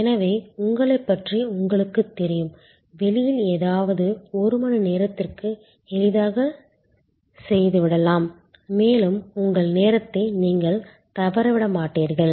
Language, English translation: Tamil, So, you know about you can easily get something done outside go away for an hour and you will not miss your turn